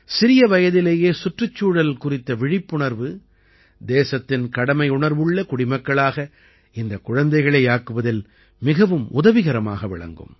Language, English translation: Tamil, This awareness towards the environment at an early age will go a long way in making these children dutiful citizens of the country